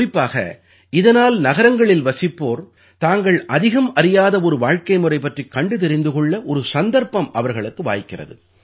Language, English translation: Tamil, Specially because through this, people living in cities get a chance to watch the lifestyle about which they don't know much